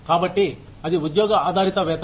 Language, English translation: Telugu, So, that is the job based pay